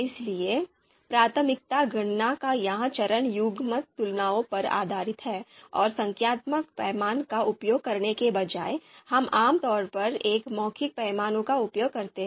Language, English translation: Hindi, So that is what you see here the priority calculation this step is about is based on pairwise comparisons, and instead of using a numerical scale, we typically use a verbal scale